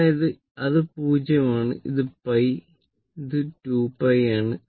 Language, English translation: Malayalam, So, it is 0 it is pi it is 2 pi